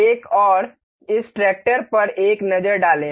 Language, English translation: Hindi, Another, take a look at this tractor